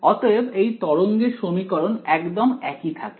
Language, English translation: Bengali, So, the wave equation remains exactly the same